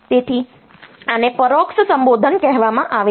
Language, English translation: Gujarati, So, this is called indirect addressing